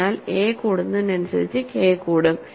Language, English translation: Malayalam, So, as a increases K also increases